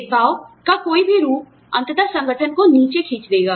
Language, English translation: Hindi, Any form of discrimination, will eventually pull the organization down